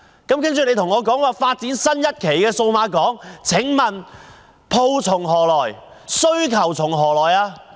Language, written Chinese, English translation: Cantonese, 可是，司長卻說要發展新一期數碼港，請問鋪從何來，需求從何來？, However the Financial Secretary now proposes to develop a new phase of the Cyberport . May I ask where the shops are and where the demands are?